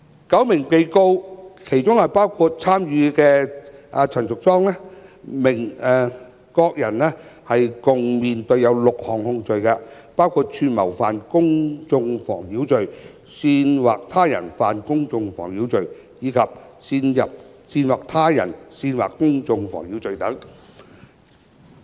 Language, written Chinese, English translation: Cantonese, 九名被告包括參與者陳淑莊議員，各人合共面對6項控罪，包括串謀犯公眾妨擾罪、煽惑他人犯公眾妨擾罪，以及煽惑他人煽惑公眾妨擾罪等。, Ms Tanya CHAN a participant was among the nine defendants who were charged with a total of six offences including conspiracy to commit public nuisance incitement to commit public nuisance and incitement to incite public nuisance